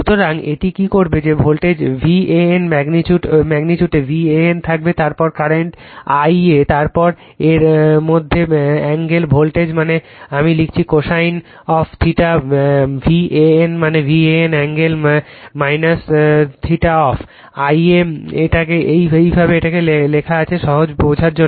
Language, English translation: Bengali, So, it will what it will do that voltage V A N magnitude will take V A N then you will take the current I a , then angle between this , voltage that is your I write cosine of theta V A N that is the angle of V A N , minus theta of I a right, this way it is written just for easy understanding right